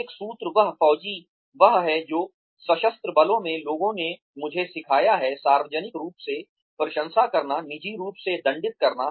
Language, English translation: Hindi, One formula, that faujis is that, that the people in the armed forces, have taught me is, praise in public, punish in private